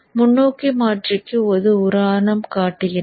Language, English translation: Tamil, I will show you one example for the forward converter